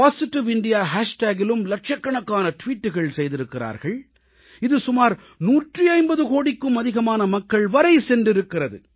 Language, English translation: Tamil, Lakhs of tweets were posted on Positive India hashtag , which reached out to more than nearly 150 crore people